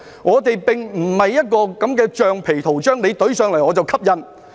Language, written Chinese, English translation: Cantonese, 我們並非橡皮圖章，政府提交，我們便蓋印。, We are not a rubber stamp which rubber - stamps whatever submitted by the Government